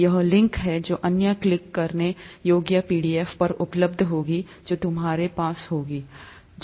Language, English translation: Hindi, This is the link to that which will be available on the other clickable pdf that you’ll have